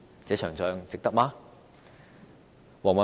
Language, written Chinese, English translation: Cantonese, 這場仗，值得嗎？, Is it worthwhile to fight this war?